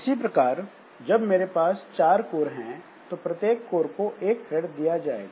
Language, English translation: Hindi, Similarly, if I have got four cores, then the one thread can be given to each core